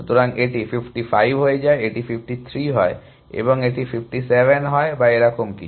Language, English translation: Bengali, So, this becomes 55, this becomes 53 and this becomes 57 or something like that